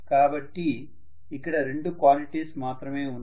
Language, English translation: Telugu, So I have now two quantities only